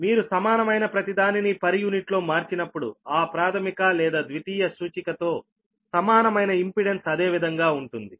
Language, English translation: Telugu, when you convert everything in per unit, that equivalent impedance with refer to primary or secondary, it will remain same